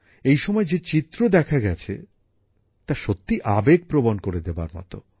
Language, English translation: Bengali, The pictures that came up during this time were really emotional